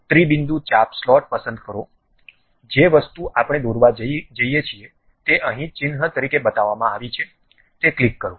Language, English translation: Gujarati, Pick three point arc slot, the object whatever the thing we are going to draw is shown here as icon, click that one